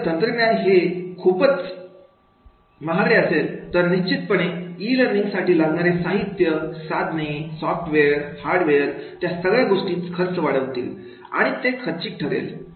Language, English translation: Marathi, If the technology itself is costly then definitely that is the use of e learning through that particular equipment, instruments, software, hardware, so then then it will increase in the cost and it becomes costly